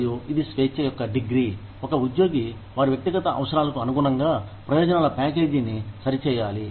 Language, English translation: Telugu, And, this is the degree of freedom, an employee has, to tailor the benefits package, to their personal needs